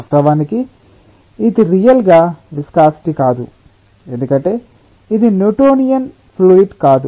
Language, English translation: Telugu, of course this is not really the viscosity because it is not a newtonian fluid